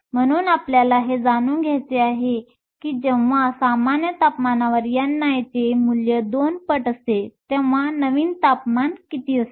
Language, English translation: Marathi, So, we want to know what the new temperature is when your value of n i is 2 times the n i at room temperature